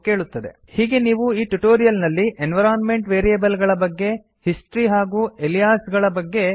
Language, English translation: Kannada, So, in this tutorial, you have learned about environment variables, history and aliasing